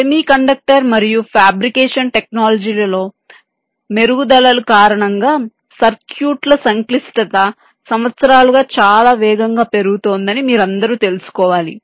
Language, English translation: Telugu, so, as you all must be, knowing that the complexity of circuits have been increasing very rapidly over the years, primarily because of improvements in semi conductor and fabrication technologies